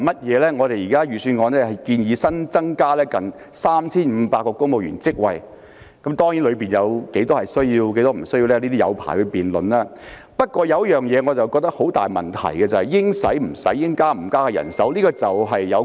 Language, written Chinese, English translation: Cantonese, 現時預算案建議新增近 3,500 個公務員職位，當中哪些職位有需要、哪些職位沒有需要可以辯論很長時間，但有一個大問題是應花的錢不花，應加的人手不加。, In view of the proposed creation of nearly 3 500 civil service posts in the Budget it will take a long time to argue about the deployment of the additional manpower . However one major problem is that the Government has failed to allocate money and manpower as and when needed